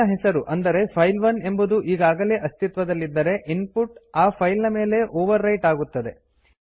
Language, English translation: Kannada, If a file by name say file1 already exist then the user input will be overwritten on this file